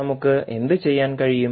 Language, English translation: Malayalam, What we can do